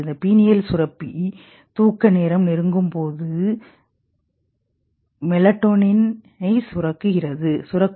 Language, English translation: Tamil, This penial gland secretes something called melatonin